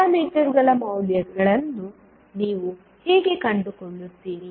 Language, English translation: Kannada, How you will find the values of parameters